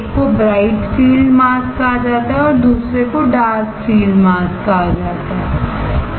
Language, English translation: Hindi, One is called bright field mask another one is called dark field mask right